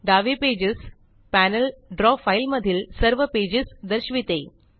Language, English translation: Marathi, The Pages panel on the left displays all the pages in the Draw file